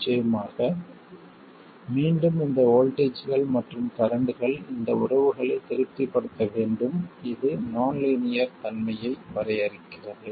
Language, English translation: Tamil, And of course, again, these voltages and currents have to satisfy these relationships which define the non linearity